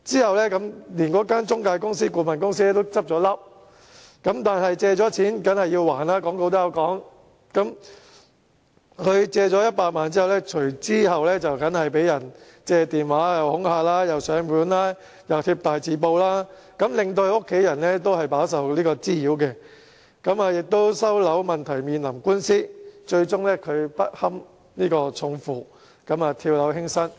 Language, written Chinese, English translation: Cantonese, 後來該中介顧問公司甚至結業，但廣告亦云"借錢梗要還"，他借了100萬元後便被人用電話恐嚇，又上門追債，又貼大字報，令他的家人也飽受滋擾，而收樓問題亦面臨官司，他最終不堪重負，跳樓輕生。, The intermediary even folded subsequently but as it says in the advertisement You have to repay your loans . he received intimidation phone calls debt collectors came to his doors and big - character posters were put up . His family also suffered from such nuisances and he was facing a property repossession lawsuit